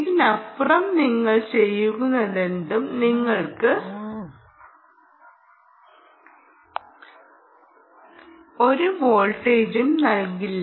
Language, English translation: Malayalam, anything you do beyond this essentially will not give you any voltage